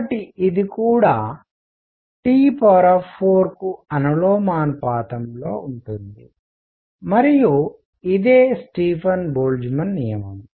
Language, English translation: Telugu, So, this is also proportional to T raise to 4 and that is the Stefan Boltzmann law